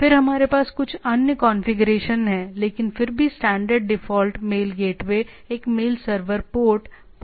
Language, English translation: Hindi, Then we have some other configuration, but nevertheless the standard default mail gateway is a mail server port is the port 25